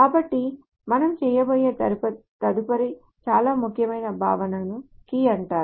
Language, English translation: Telugu, So the next very important concept that we will do is called the key